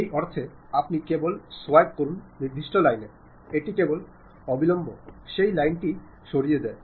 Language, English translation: Bengali, In that sense, you just swipe on particular line; it just immediately removes that line